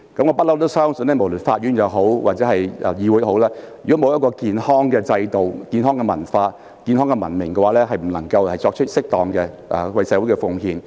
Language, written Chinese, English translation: Cantonese, 我一直相信無論是法院或議會，如沒有健康的制度、文化和文明規範，便不能為社會作出適當的貢獻。, I always believe that no matter in the court or in the Council without any healthy system culture and civilized norms we cannot make proper contributions to society